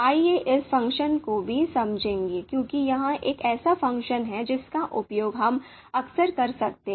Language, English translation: Hindi, So let us understand this function as well because this is one function that we might be using quite often